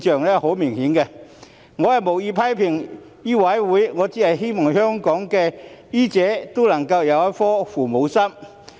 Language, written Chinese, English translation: Cantonese, 我無意在此批評醫委會，我只希望香港的醫者都能有一顆"父母心"。, I do not intend to criticize MCHK here . I just hope that doctors in Hong Kong can all have a benevolent parent - like heart